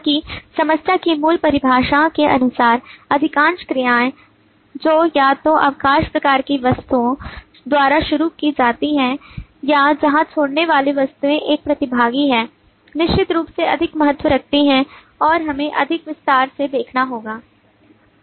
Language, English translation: Hindi, so that by the basic definition of the problem most of the actions that are either initiated by leave kind of objects or where leave kind of objects are a participant certainly has more importance and we will have to looked into in greater detail